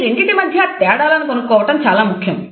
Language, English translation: Telugu, It is very important to know the difference between these two